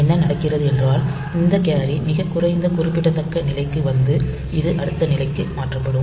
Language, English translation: Tamil, So, what happens is that this carry comes to the least significant position and this one get shifted to the next position